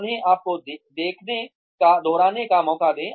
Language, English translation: Hindi, Give them a chance to repeat, to watch you